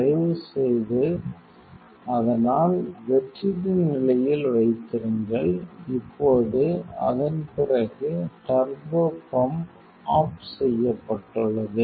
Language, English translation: Tamil, Please, some keep in some vacuum condition, now after that, the turbopump is off